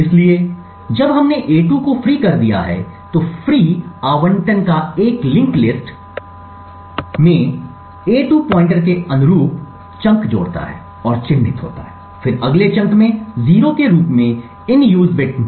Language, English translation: Hindi, So, when we have freed a2 the free allocation adds the chunk corresponding to this a2 pointer in a linked list and it marks then the in use bit in the next chunk as 0